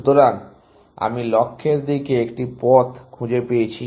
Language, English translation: Bengali, So, I have found one path to the goal